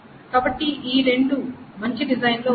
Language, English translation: Telugu, So these two are in a better design